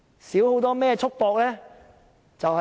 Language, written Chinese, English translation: Cantonese, 少了甚麼束縛呢？, What are the constraints that can be relaxed?